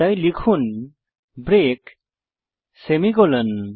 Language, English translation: Bengali, So type break semicolon